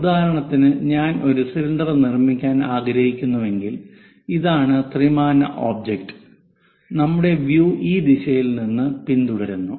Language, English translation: Malayalam, For example, if I would like to construct a cylinder; this is the 3 dimensional object and our view follows from this direction